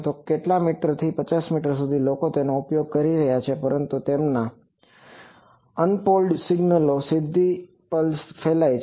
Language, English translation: Gujarati, So, from few meters up to 50 meters people are using it, but their unmodulated signals directly the pulse is getting transmitted